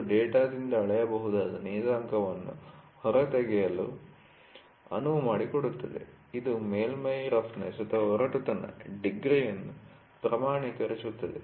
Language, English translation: Kannada, This enables the extraction of the measurable parameter from the data, which can quantify the degree of surface roughness